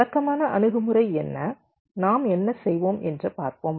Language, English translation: Tamil, ok, let us see what is the conventional approach, what we do